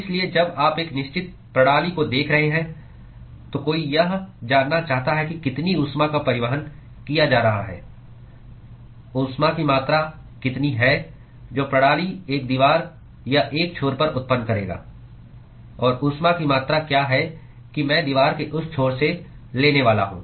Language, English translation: Hindi, So, when you are looking at a certain system, what somebody wants to know is how much heat is being transported, what is the amount of heat that the system would generate at one wall of or one end, and what is the amount of heat that I am supposed to take from that end of the wall